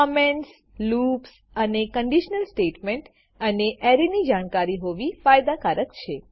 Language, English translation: Gujarati, Knowledge of comments, loops, conditional statements and Arrays will be an added advantage